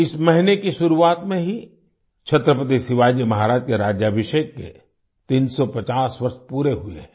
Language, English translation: Hindi, The beginning of this month itself marks the completion of 350 years of the coronation of Chhatrapati Shivaji Maharaj